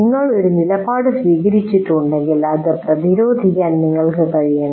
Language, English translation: Malayalam, And if you have taken a position, you should be able to defend that